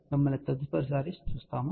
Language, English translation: Telugu, We will see you next time